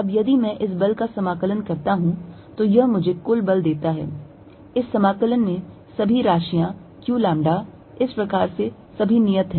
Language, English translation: Hindi, Now, if I integrate this force that gives me the total force, this integration all the quantities q lambda, thus all these are fixed